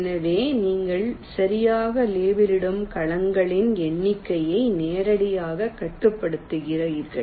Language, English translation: Tamil, so you are directly restricting the number of cells you are labeling right now